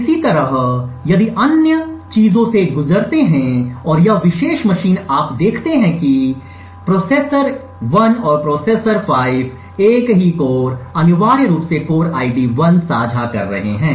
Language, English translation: Hindi, Similarly, if you go through the other things and this particular machine you see that processor 1 and processor 5 are sharing the same core essentially the core ID 1 and so on